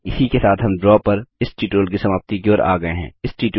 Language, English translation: Hindi, This brings us to the end of this tutorial on Draw